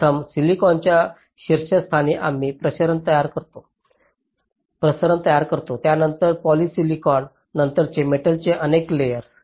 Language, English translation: Marathi, so on top of the silicon we create the diffusion, then poly silicon, then several layers of metal